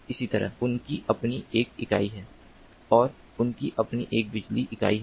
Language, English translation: Hindi, they have their own power unit, they have their own communication unit